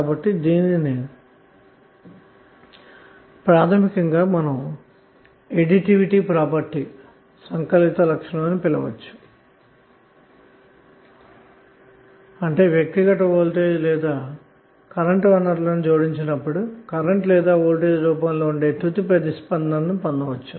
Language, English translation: Telugu, So this is basically called as a additivity property means you can add the responses of the individual voltage or current sources and get the final response that may be in the form of current or voltage